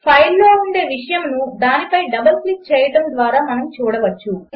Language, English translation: Telugu, We can see the content of the file by double clicking on it